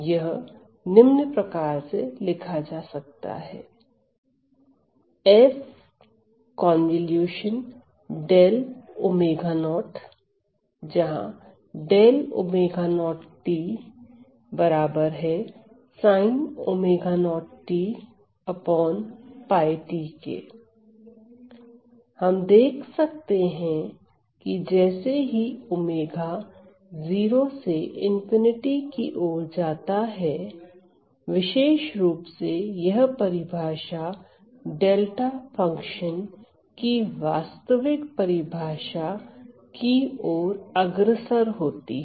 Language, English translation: Hindi, So, as we can see that as omega goes to omega 0 goes to infinity this particular definition goes to the actual definition of delta function